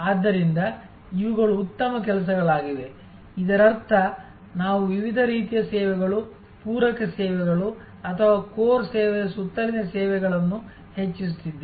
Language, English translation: Kannada, These are therefore, fencing better doing; that means we are creating a boundary of different types of services, supplementary services or enhancing services around the core service